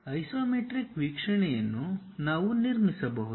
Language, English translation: Kannada, This is the way isometric view we can construct it